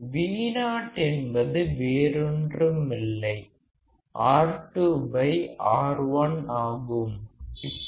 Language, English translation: Tamil, Vo will be nothing but minus R 2 by R 1